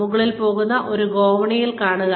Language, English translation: Malayalam, This is a staircase going upwards